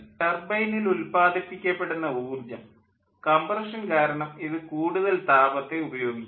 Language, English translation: Malayalam, the energy which will be produced by the turbine, much of it will be consumed by the compression